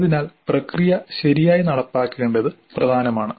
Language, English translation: Malayalam, So, it is important to have the process implemented properly